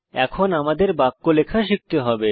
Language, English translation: Bengali, We have now learnt to type sentences